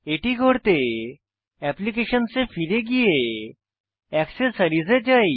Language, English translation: Bengali, For that go back to Applications then go to Accessories